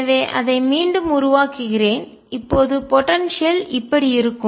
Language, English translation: Tamil, So, let me make it again, the potential looks like